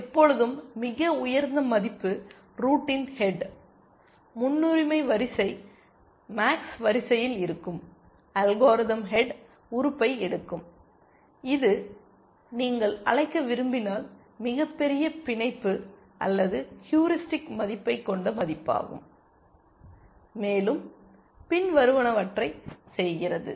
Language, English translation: Tamil, And always the highest value will be the head of the root, the priority queue a max queue then, the algorithm picks the head element which is the value with the largest bound or heuristic value if you want to call it, and does the following